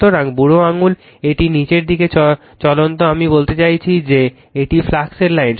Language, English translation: Bengali, So, thumb it moving downwards I mean this is the flux line